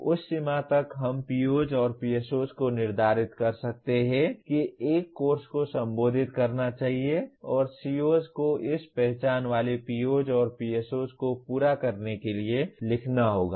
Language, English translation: Hindi, So to that extent we may apriori determine the POs and PSOs a course should address and the COs will have to be written to meet this identified the POs and PSOs